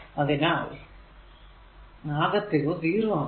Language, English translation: Malayalam, So, total will be 8